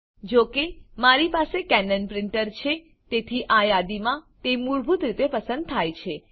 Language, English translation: Gujarati, Since, I have a Canon Printer, here in this list, it is selected by default